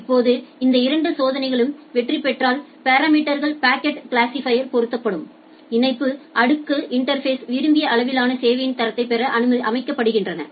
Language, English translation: Tamil, Now, if this both checks succeed then the parameters are set in the packet classifier, and in the link layer interface to obtain the desired level of quality of service